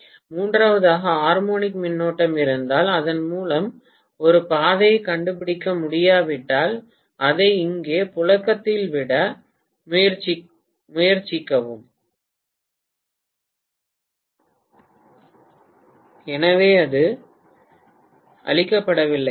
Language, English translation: Tamil, So if I have a third harmonic current actually drawn here, if it is not able to find a path through this it will try to just circulate it here, so it is not killed